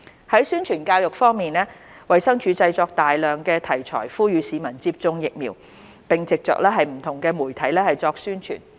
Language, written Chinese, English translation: Cantonese, 在宣傳教育方面，衞生署製作大量題材呼籲市民接種疫苗，並藉着不同媒體作宣傳。, In terms of publicity and education the Department of Health DH has produced a large amount of materials delivered via different media channels for promotion to urge members of the public to get vaccinated